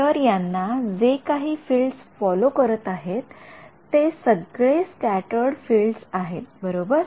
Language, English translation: Marathi, So, whatever fields are following on it are scattered fields right